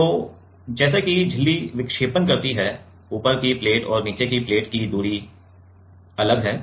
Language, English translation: Hindi, So, as the membrane deflects the distance between the top plate and the bottom is different, right